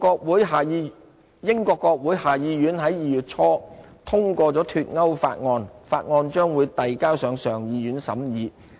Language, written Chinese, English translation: Cantonese, 英國國會下議院在2月初通過"脫歐"法案，法案將遞交上議院審議。, After the House of Commons of the United Kingdom passed the Brexit bill in early February the bill will be tabled before the House of Lord for consideration